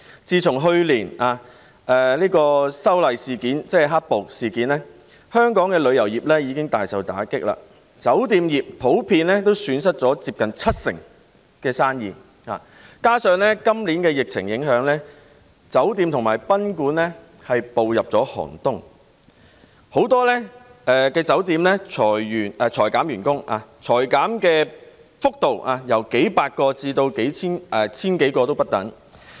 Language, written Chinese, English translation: Cantonese, 自去年的修例事件——即"黑暴"事件——香港旅遊業已大受打擊，酒店業也普遍損失了七成生意，加上今年受疫情影響，酒店和賓館已步入寒冬，很多酒店裁減員工，而裁減的幅度由數百人至千多人不等。, The hotel industry lost 70 % of its businesses as a whole . Moreover under the impact of this years epidemic hotels and guesthouses have entered a chilly period . Many hotels have laid off their staff and the number of layoffs ranges from several hundred to more than one thousand